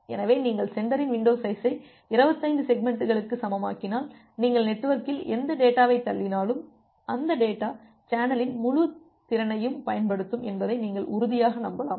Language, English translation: Tamil, So, if you make the sender window size equal to 25 segments, then you can be sure that well whatever data you are pushing in the network that data will use the entire capacity of the channel